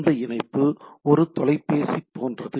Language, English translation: Tamil, So, the connectivity is like a telephone